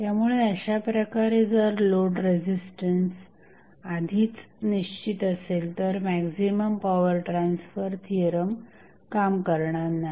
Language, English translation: Marathi, So, in that way, if the load resistance is already specified, the maximum power transfer theorem will not hold